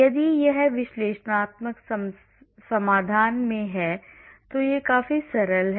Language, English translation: Hindi, If it is in analytical solution, then it is quite simple